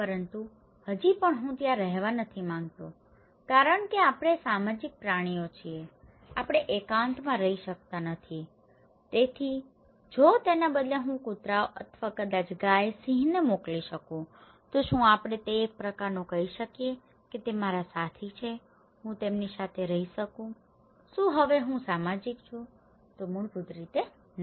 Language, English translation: Gujarati, But still I do not want to live there because why; because we are social animals, we cannot live in isolation so, if instead of that, I send dogs or maybe cow, lion, can we call it kind of they are my companions, I can stay with them, am I social now; basically, no